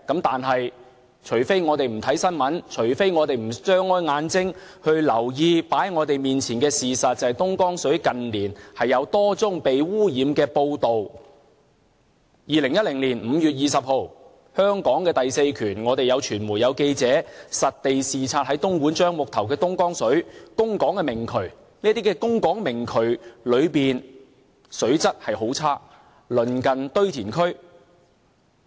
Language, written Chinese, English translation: Cantonese, 但是，除非我們不看新聞，除非我們不張開眼睛留意放在我們面前的事實，就是近年有多宗東江水被污染的報道 ：2010 年5月20日，香港的第四權，我們有傳媒和記者在東莞樟木頭實地視察東江水的供港明渠，這些供港明渠內的水質很差，鄰近堆填區。, However it is an open transaction concluded under a commercial agreement unless we do not read the news reports and unless we shut our eyes to the facts in front of us . That is there are numerous reports of pollution problems concerning the Dongjiang water 20 May 2010 the fourth estate of Hong Kong the media and reporters conducted an on - site inspection of the open nullah of the Dongjiang water supply source in Zhangmutou Dongguan . The water quality in the open nullah was very poor as it was in close proximity of a landfill